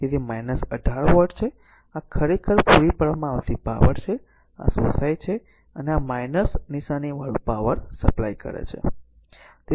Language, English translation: Gujarati, So, it is minus 18 watt this is actually what you call the power supplied by the, this is absorbed and this is minus sign means power supplied